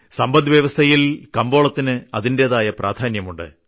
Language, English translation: Malayalam, Market has its own importance in the economy